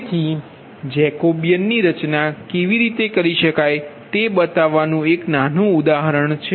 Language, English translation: Gujarati, so it is a small, small example to show that how jacobian can be form, right